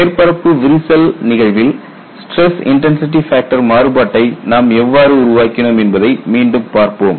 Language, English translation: Tamil, And let us look at again how we developed the stress intensity factor variation for the case of a surface crack